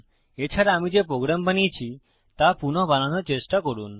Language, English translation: Bengali, Also, try to recreate the program Ive just created